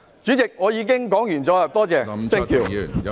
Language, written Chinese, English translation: Cantonese, 主席，我發言完畢，多謝。, President I so submit . Thank you